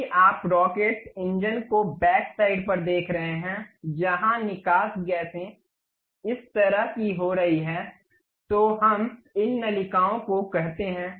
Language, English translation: Hindi, If you are seeing rocket engines on back side wherever the exhaust gases are coming out such kind of thing what we call these nozzles